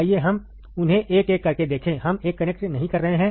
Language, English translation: Hindi, Let us see them one by one, we are not connecting 1